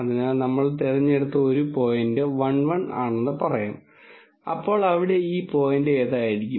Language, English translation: Malayalam, So, let us say one point that we have chosen is 1 1, so which would be this point here